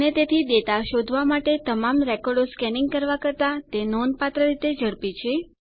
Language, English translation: Gujarati, And so it is considerably faster than scanning through all of the records to find the data